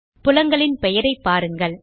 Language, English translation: Tamil, Look at the field names